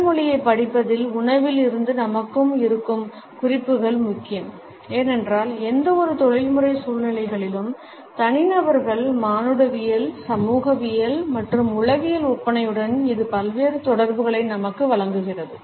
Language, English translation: Tamil, The connotations which we have from food are important in the studies of body language because it imparts us various associations with the anthropological, sociological and psychological makeup of individuals in any professional situations